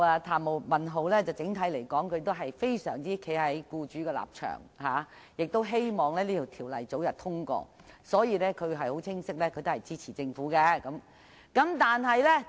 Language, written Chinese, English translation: Cantonese, 譚文豪議員整體上站在僱主的立場，希望《2017年僱傭條例草案》早日通過，清晰地表示會支持政府的修正案。, Mr Jeremy TAM stood on the side of employers in general and hoped for the early passage of the Employment Amendment No . 2 Bill 2017 the Bill clearly indicating his support for the Governments amendment